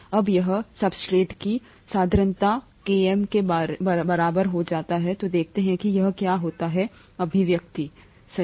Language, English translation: Hindi, Now, when the substrate concentration becomes equal to Km, let us see what happens to this expression, right